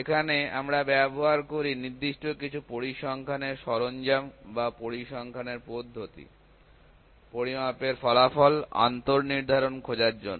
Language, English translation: Bengali, Here we use certain statistical tools or statistical methods to find the inter determinancy of measurement result